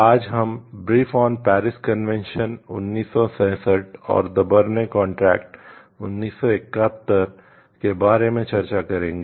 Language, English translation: Hindi, Today we will discuss in details about the brief convention Paris Convention 1967 and the Berne contract 1971